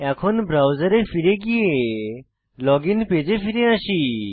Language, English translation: Bengali, Come back to the login page